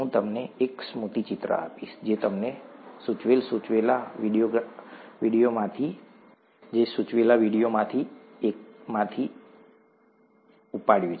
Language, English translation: Gujarati, I’ll give you a mnemonic, which I picked up from one of the, one of the videos that I’m going to suggest to you